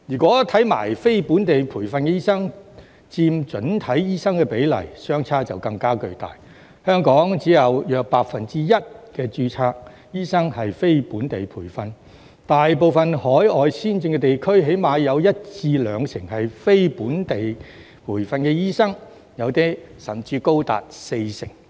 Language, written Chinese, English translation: Cantonese, 至於非本地培訓醫生佔整體醫生的比例，相差更為巨大，香港只有約 1% 註冊醫生是非本地培訓，大部分海外先進地區的非本地培訓醫生起碼佔一至兩成，部分甚至高達四成。, As for the ratio of non - locally trained medical practitioners NLTDs in the overall number of doctors the difference is even greater . Only about 1 % of registered doctors in Hong Kong are non - locally trained and most overseas advanced regions have at least 10 % to 20 % of NLTDs and some even have 40 %